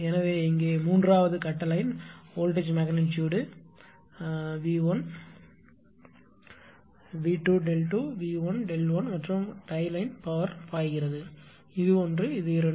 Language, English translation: Tamil, So, it is a 3 phase line here voltage magnitude V 1, V o, V 2 angle delta 2, V 1 angle delta 1 and tie line power a power is flowing, right